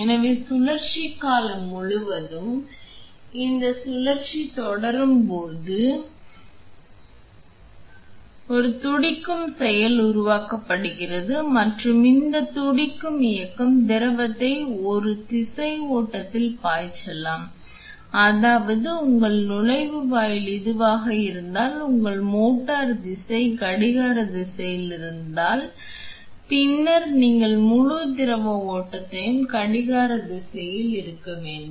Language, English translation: Tamil, So, this cycle as it proceeds through throughout the rotation period, there is a pulsating action created and this pulsating movement can cause the fluid to flow in a unidirectional flow that is if your inlet is this and your motor direction is clockwise and then you would have the entire fluid flow in the clockwise direction